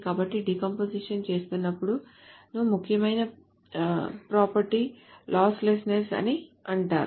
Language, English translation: Telugu, So whenever there is decomposition, the important property in the decomposition is something called the losslessness